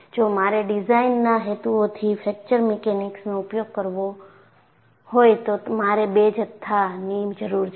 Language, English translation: Gujarati, See, if I have to employ a fracture mechanics for design purposes, I need to have two quantities